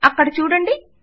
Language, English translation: Telugu, There you go